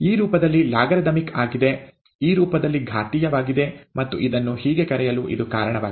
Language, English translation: Kannada, Logarithmic in this form, exponential in this form, and that is the reason why it is called so